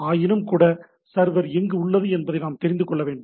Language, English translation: Tamil, But nevertheless it should know where the server is right